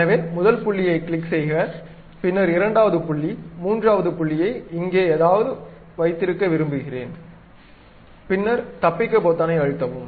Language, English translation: Tamil, So, click first point, then second point, I would like to have third point here somewhere here, then press escape